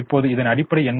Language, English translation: Tamil, now what is the basis